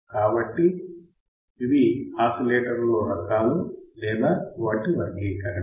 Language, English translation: Telugu, So, these are the types of or classification of the oscillators